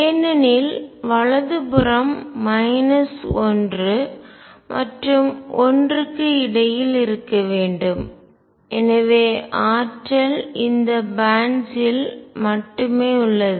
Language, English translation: Tamil, Because the right hand side should be between minus 1 line one and therefore, energy is exist only in these bands